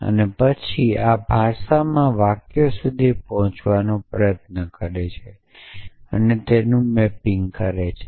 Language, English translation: Gujarati, And then tries to reach to sentences in this language essentially and a mapping